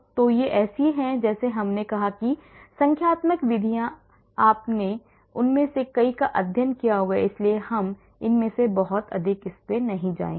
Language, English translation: Hindi, So, these are like I said numerical methods you must have studied many of them, so I will not go too much into that